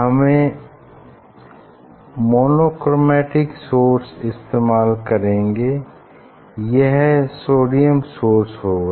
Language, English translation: Hindi, Now, we will use source monochromatic source, we have to use monochromatic source we have to use this will use sodium source